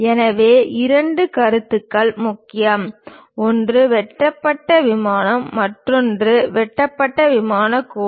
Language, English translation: Tamil, So, two concepts are important; one is cut plane, other one is cut plane line